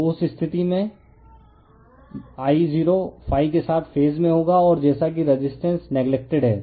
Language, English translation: Hindi, So, in that case I0 will be in phase with ∅ and your as it is as resistance is neglected